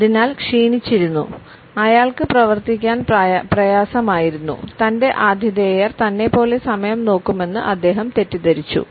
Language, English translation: Malayalam, So, stressed out he could hardly operate he mistakenly thought his hosts would look at time like he did